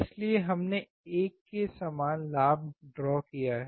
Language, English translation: Hindi, So, we have drawn gain equals to 1